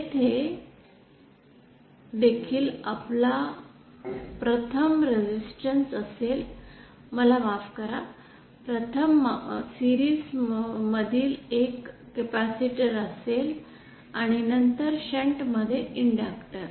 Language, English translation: Marathi, Here also we will first have a resistance, I beg your pardon a capacitor in series followed by an inductor in shunt